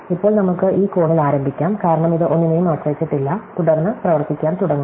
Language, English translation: Malayalam, So, now, we can start at this corner, because this depends on nothing and then start working